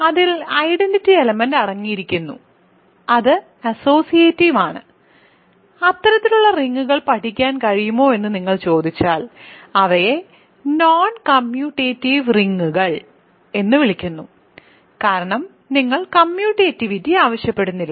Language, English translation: Malayalam, So, it is associative it contains identity element, if you just ask that it is possible to study rings like that, they are called “non commutative rings” ok, because you do not ask for commutativity